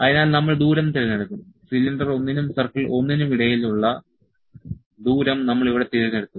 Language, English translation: Malayalam, So, we will select the distance; distance we have selected distance here between cylinder 1 and circle 1